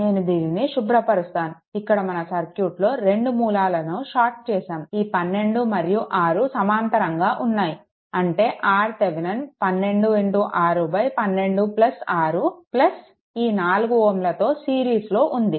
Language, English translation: Telugu, So, let me clear it so, here this is your two sources shorted 12 and 6 are your what you call are in parallel; that means, your R Thevenin is equal to 12 into 6 by 12 plus 6 right plus this 4 ohm with that in series